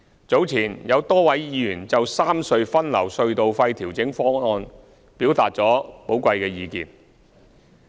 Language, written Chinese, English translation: Cantonese, 早前，有多位議員就三隧分流隧道費調整方案，表達了寶貴的意見。, Earlier many Members expressed their valuable views on the toll adjustment proposal to rationalize traffic distribution among the three road harbour crossings RHCs